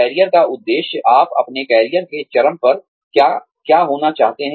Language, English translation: Hindi, Career objective is, what you want to be, at the peak of your career